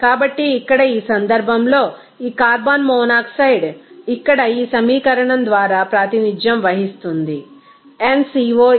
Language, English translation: Telugu, So, here in this case this carbon monoxide it will be then represented by this equation here nCO = 1